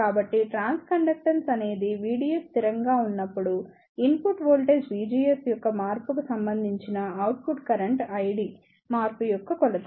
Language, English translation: Telugu, So, trans conductance is an measure of change in output current I D with respect to change in the input voltage V GS for a constant value of V DS